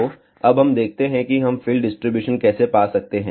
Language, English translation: Hindi, So, let us see now, how we can find the field distribution